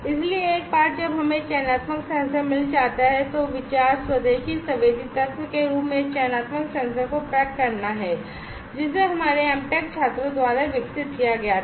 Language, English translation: Hindi, So, once we get the selective sensor then the idea is to pack the selective sensor in the form of indigenous sensing element, that was developed by our M Tech students